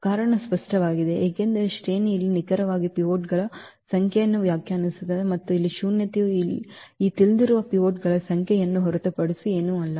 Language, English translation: Kannada, The reason is clear because the rank defines exactly the number of pivots here and this nullity is nothing but the number of this known pivots